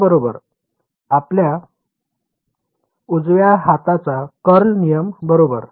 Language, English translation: Marathi, z right your right hand curl rule right